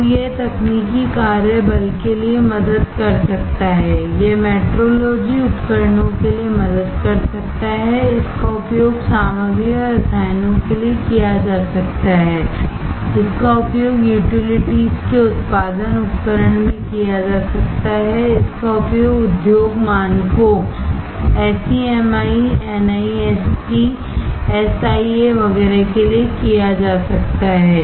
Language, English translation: Hindi, So, it can help for technical work force, it can help for metrology tools, it can be used for materials and chemicals, it can be used in a utilities production tools, it can be used for industry standards, SEMI, NIST, SIA etcetera